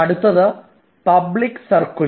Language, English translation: Malayalam, you then comes public circular